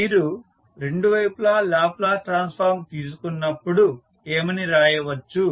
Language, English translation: Telugu, So, when you take the Laplace transform on both sides, what you can write